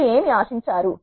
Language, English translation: Telugu, What would do you expect